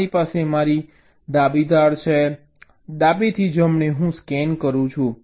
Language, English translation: Gujarati, suppose i have a layout, i have my left edge, i left to right, i make a scan